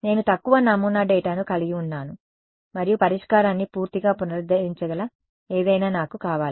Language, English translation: Telugu, I have undersampled data and I want something that can recover the solution all right